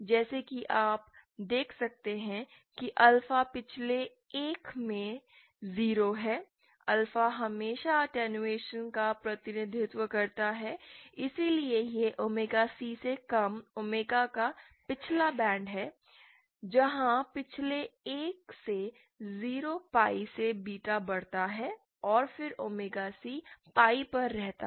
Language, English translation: Hindi, As you can see alpha is 0 in the past one, alpha always represents attenuation, hence this is the past band of omega lesser than omega C, where as beta increases from 0 pie from the past one and then omega c it remains at pie and remains constant after